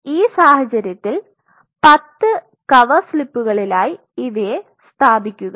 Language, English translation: Malayalam, So, you can place these 10 covers slips in that situation